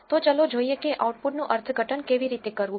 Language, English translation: Gujarati, So, let us see how to interpret the output